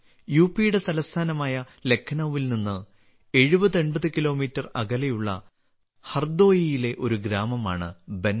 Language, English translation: Malayalam, Bansa is a village in Hardoi, 7080 kilometres away from Lucknow, the capital of UP